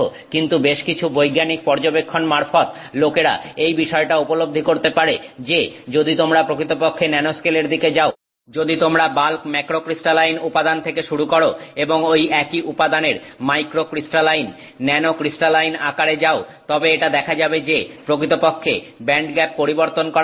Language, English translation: Bengali, But through a lot of scientific study people have recognized that fact that if you actually go towards the nanoscale in from, if you start from bulk, you know, macrocrystalline material and you move towards microcrystalline, nanocrystaline materials of the same substance, then it turns out that the band gap can actually change and therefore you will have a different band gap for the same material